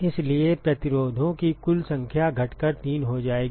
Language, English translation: Hindi, So, therefore, the total number of resistances will boil down to three